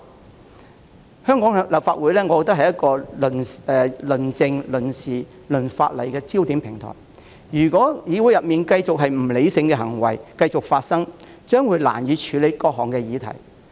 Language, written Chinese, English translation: Cantonese, 我認為香港立法會是一個論政、論事、論法例的焦點平台，如果議會內繼續出現不理性的行為，將難以處理各項議題。, In my view the Legislative Council is a focused platform for discussion on politics issues and legislation and if irrational behaviour continues in the legislature the Council can hardly process the various businesses